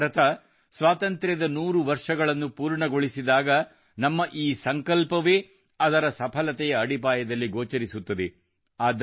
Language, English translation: Kannada, When India completes one hundred years of Independence, then only these resolutions of ours will be seen in the foundation of its successes